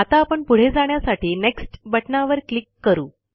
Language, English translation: Marathi, Now let us click on the Next button to proceed